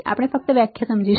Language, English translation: Gujarati, We will just understand the definition